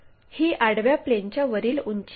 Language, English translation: Marathi, This is height above horizontal plane